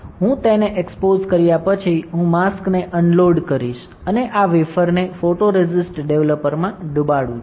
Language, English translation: Gujarati, After I expose it, I will unload the mask and dip this wafer in a photoresist developer